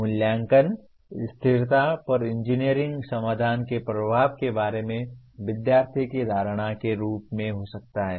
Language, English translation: Hindi, Assessment could be in the form of student’s perception of impact of engineering solutions on sustainability